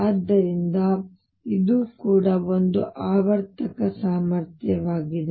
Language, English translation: Kannada, So, this is also a periodic potential